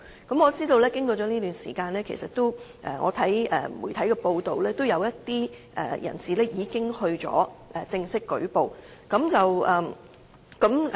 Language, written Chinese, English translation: Cantonese, 據我所知，經過這段時間，根據媒體的報道，也有一些人士已作出正式舉報。, As far as I know several individuals have reported the cases after media coverage of the cases some time ago